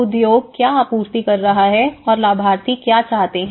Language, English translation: Hindi, What the industry is supplying and what the beneficiaries are looking about